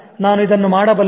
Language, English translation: Kannada, I'll handle this